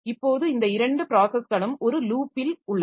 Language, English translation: Tamil, Now, both these processes they are in a loop